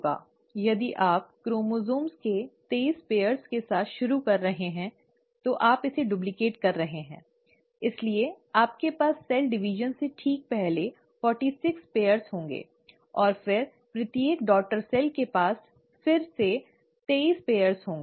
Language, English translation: Hindi, If you are starting with twenty three pairs of chromosome, you are duplicating it, so you end up having fourty six pairs, right before the cell division, and then each daughter cell again ends up getting twenty three pairs